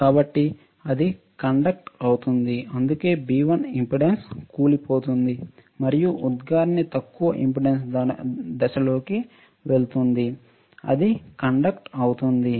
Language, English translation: Telugu, So, it is conducting that is why this is a it goes to the impedance collapses B1 will go to impedance collapses and the emitter goes into low impedance stage, right, it will conduct